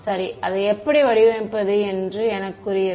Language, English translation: Tamil, Well, it is up to me, how to design it